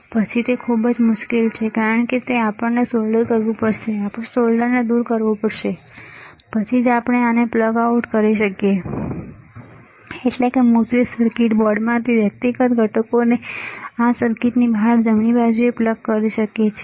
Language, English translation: Gujarati, Then it is very difficult because we have to de solder it we have to remove the solder, then only we can plug this out that is plug the individual components out of the printed circuit board out of this circuit right